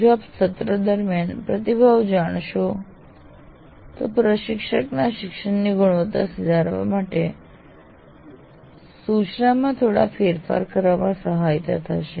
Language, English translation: Gujarati, So if you take the feedback in the middle of the semester, it will allow the instructor to make minor adjustments to instruction to improve the quality of learning